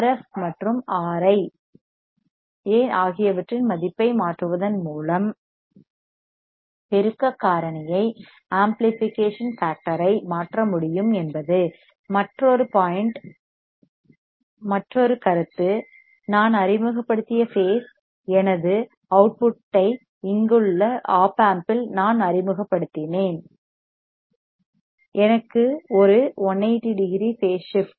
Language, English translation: Tamil, So, this is the op amp now here the advantage is that that I can change the amplification factor by changing the value of RF and R I another point is whatever the I introduced phase my output at the op amp that is here, I will have a 180 degree phase shift because it is a inverting amplifier